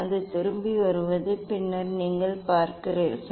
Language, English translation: Tamil, it is a coming back coming back and then yes you see